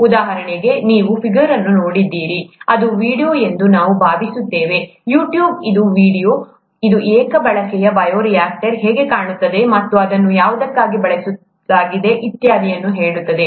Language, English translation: Kannada, For example, if you see this figure, I think this is a video, YouTube it is a video, it will tell you how a single use bioreactor looks like, and what it is used for and so on